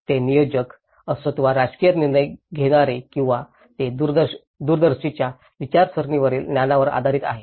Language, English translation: Marathi, Whether it is a planners or the political decision makers or it is based on the knowledge on ideologies of the visionaries